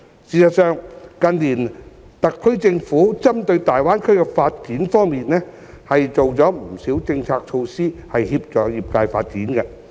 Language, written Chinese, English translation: Cantonese, 事實上，特區政府近年針對大灣區的發展方面，做了不少政策措施以協助業界發展。, Actually in view of the development of the Greater Bay Area the SAR Government has implemented many policy initiatives to assist with industries development in recent years